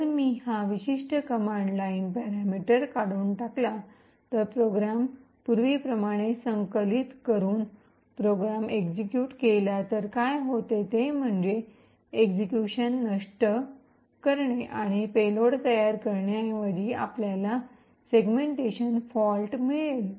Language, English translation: Marathi, So, if I remove this particular command line parameter, compile the program as before and execute the program, what happens is that instead of subverting execution and creating the payload we get a segmentation fault